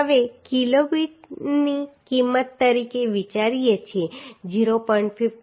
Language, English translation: Gujarati, 57 right Now considering value of Kb as 0